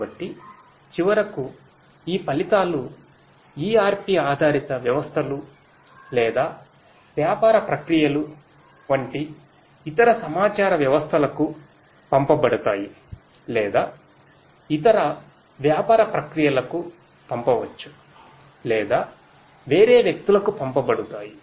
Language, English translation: Telugu, So, finally, these results are going to be all sent to either different other information systems like ERP based systems or business processes other business processes it could be sent or to different people